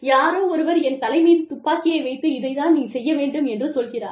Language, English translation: Tamil, If somebody puts a gun to my head, and says, that this is what, you need to do